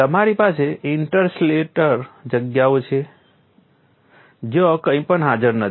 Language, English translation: Gujarati, You have interstellar spaces where nothing is present